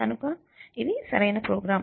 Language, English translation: Telugu, So, let us see the program